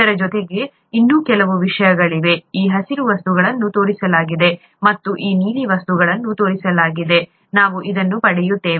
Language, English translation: Kannada, In addition there are a few other things, there are these green things that are shown, and there are these blue things that are shown, we will get to that